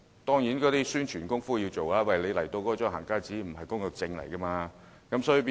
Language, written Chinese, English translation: Cantonese, 當然，宣傳工作要做足，讓他們明白"行街紙"並非工作證。, Of course we should do adequate publicity to let them know that a going - out pass is not a work permit